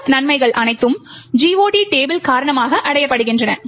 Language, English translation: Tamil, All of these advantages are achieved because of the GOT table